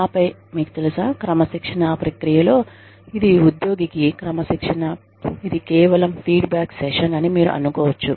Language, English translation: Telugu, And then, they come to their, you know, during the process of disciplining, you may think, it is discipline for the employee, it may just be a feedback session